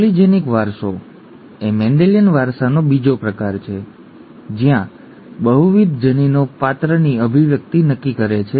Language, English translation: Gujarati, Polygenic inheritance is another variant again from Mendelian inheritance where multiple genes determine the expression of a character